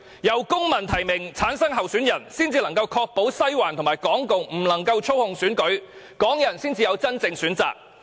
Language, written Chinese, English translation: Cantonese, 由公民提名產生候選人，才能夠確保"西環"及港共不能夠操控選舉，這樣港人才會有真正的選擇。, Only the candidate returned by civic nomination can fight against the manipulation of elections by Western District and Hong Kong communists such that Hong Kong people will have genuine choices